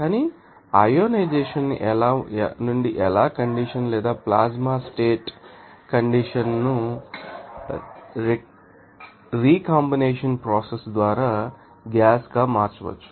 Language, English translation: Telugu, But from the ionization you know how condition or plasma state condition it may be you know converted to gas by you know recombination process